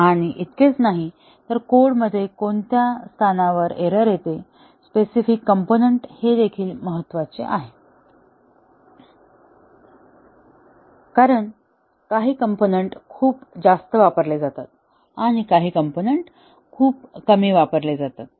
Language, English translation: Marathi, And, not only that, the location at which the, in the code, at which the error occurs, the specific components, that is also important; because, some components are used very heavily and some components are used very less